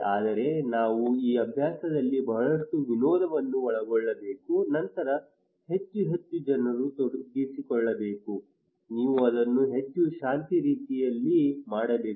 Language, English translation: Kannada, But we should involve a lot of fun into this exercise, then more and more people should be involved, you should do it more relaxed way